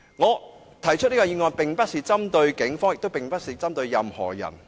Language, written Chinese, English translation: Cantonese, 我動議的議案並非針對警方，也不是針對任何人。, I do not mean to pick on the Police or anybody by moving this motion